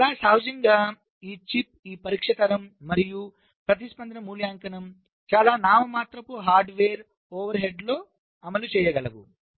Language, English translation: Telugu, now, quite naturally, this chip, this, this test generation and response evaluation, should be such that they can be implemented with very nominal hardware overheads